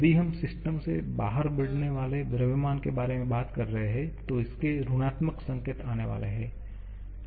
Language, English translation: Hindi, If we are talking about mass flowing out of the system, then there will be negative sign coming in